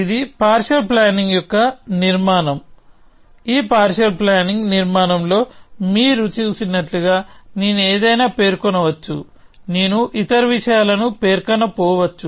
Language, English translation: Telugu, So, this is a structure of a partial plan; as you can see in this partial plan structure, I may specify something; I may not specify other things